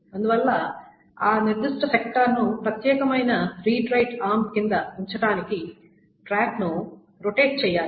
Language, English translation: Telugu, So for that, the track must rotate so that the sector is placed under the particular read right arm